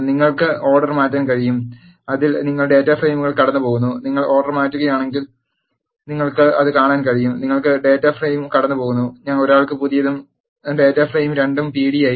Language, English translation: Malayalam, You can change the order, in which you pass the data frames and you can see that, if you change the order, you pass the data frame one has pd new and data frame 2 as pd